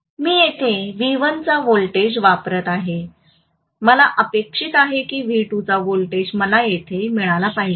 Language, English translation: Marathi, And I am applying a voltage of V1 here, I am expecting that a voltage of V2 I should get here